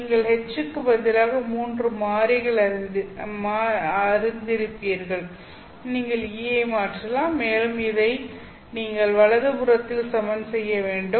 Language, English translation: Tamil, So del cross e again will have the same, you know, three variables in place of H, you can simply replace E and you will have to equate this one to the right hand side